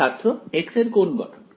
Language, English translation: Bengali, What form of x